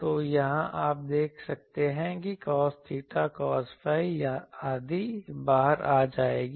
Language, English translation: Hindi, So, here you can cos theta cos phi etc